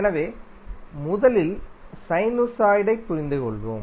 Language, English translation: Tamil, So, let's first understand sinusoid